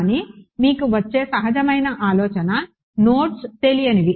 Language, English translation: Telugu, But you get the intuitive idea nodes are the unknowns